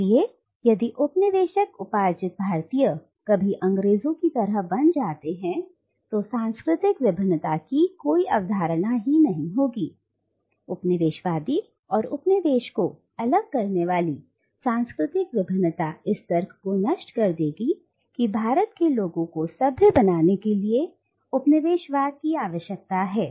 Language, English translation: Hindi, So if the colonised subjugated Indians were ever to become exactly like the British then there won’t be any notion of cultural gap, civilizational gap separating the coloniser and the colonised which in turn will destroy the logic that colonialism is required to civilise the people of India